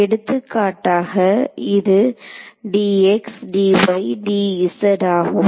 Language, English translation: Tamil, For example, this could be a d x, d y, z hat ok